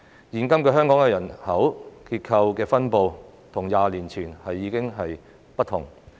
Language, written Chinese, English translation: Cantonese, 現今的香港人口結構及分布與20年前已大為不同。, The population structure and distribution in Hong Kong today are very different from those of 20 years ago